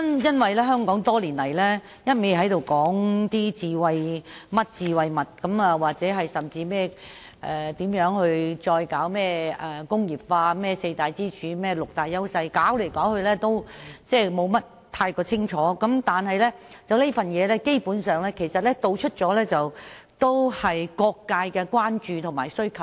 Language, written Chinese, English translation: Cantonese, 多年來，香港只是不斷談論各種"智慧"模式、再工業化、四大支柱產業、六大優勢產業等，但卻從來沒有具體方案，而這份《藍圖》基本上涵蓋了各界的關注和需求。, Over the years Hong Kong has been talking about the various models of smartness re - industralization four pillar industries and six industries where Hong Kong enjoys clear advantages yet specific proposals have never been put forth . The Blueprint has basically covered the concerns and demands of various sectors